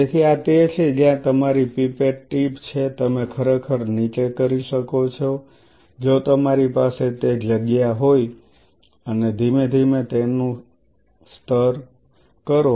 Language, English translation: Gujarati, So, this is where your pipette tip is you can further go down actually if you have that margin and slowly you layer it